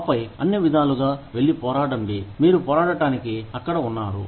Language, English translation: Telugu, And then, by all means, go and fight the battle, that you are out there, to fight